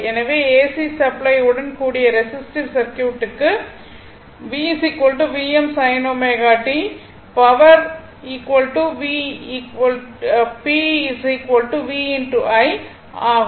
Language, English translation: Tamil, So, for resistive circuit with AC supply V is equal to V m sin omega t power is equal to V is equal to p is equal to v i